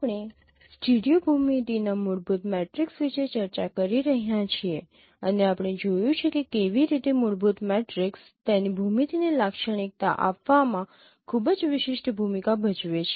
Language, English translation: Gujarati, We are discussing about fundamental matrix of a stereo geometry and we have seen how fundamental matrix plays a very distinctive role in characterizing the its geometry